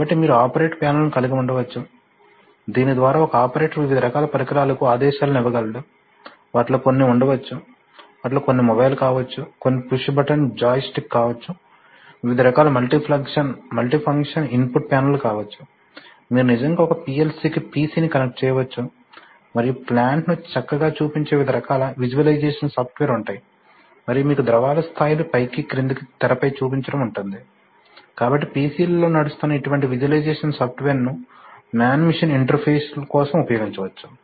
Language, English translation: Telugu, So you can have operator panels, by which an operator can give commands to a variety of devices, some of them may be, some of them may be mobile, then we push button joystick, various kinds of, you know multifunction input panels, various kinds of things, similarly if you can see, if you can actually connect a pc to a PLC and on which various kinds of visualization software which will nicely show your plant and i know as you know i mean levels of fluids will go up and down it will nice to show you on the screen, so such visualization software running on PCs can be used for man machine interfaces